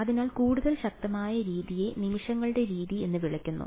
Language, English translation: Malayalam, So, the more robust method is what is called the method of moments